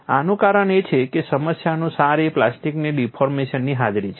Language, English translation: Gujarati, This is because the essence of the problem is the presence of plastic deformation